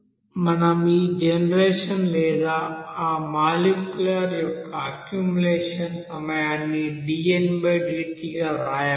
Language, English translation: Telugu, So we can write here this generation time or accumulation time of that molecule here dn/dt